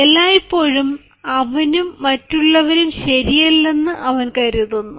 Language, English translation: Malayalam, he will always think that neither he is ok nor others are ok